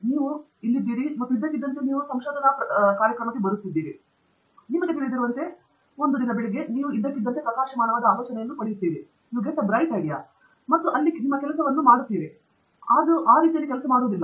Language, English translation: Kannada, It is not like, you know, you come in here and suddenly you come in to a research program somewhere, and then, you know, one fine morning, you suddenly get a bright idea and that’s it, your work is done; it never works that way